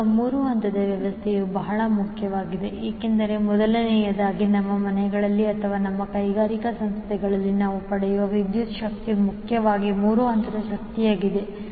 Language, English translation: Kannada, Because, there are 3 major reasons of that, first, the electric power which we get in our houses or in our industrial establishments are mainly the 3 phase power